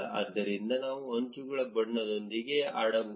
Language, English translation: Kannada, Therefore, we can play around with the color of the edges